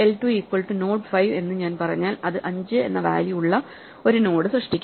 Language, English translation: Malayalam, If I say l2 is equal to node 5 this will create a node with the value 5